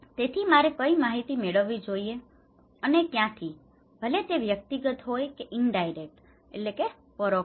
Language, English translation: Gujarati, so, which informations I should get and from where so, either it is personal, it could be indirect